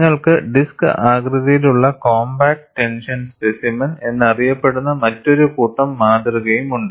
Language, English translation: Malayalam, You also have another set of specimen, which is known as disc shaped compact tension specimen